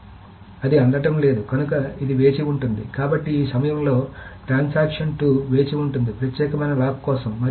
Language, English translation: Telugu, So transaction 2 at this point will keep on waiting for the exclusive lock